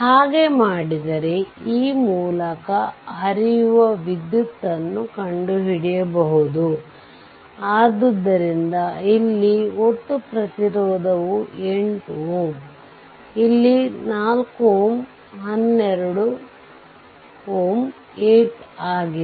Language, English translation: Kannada, So, if you do so, then current flowing through this you find out; so, total resistance here it is 8 ohm, here it is 4 ohm 12 ohm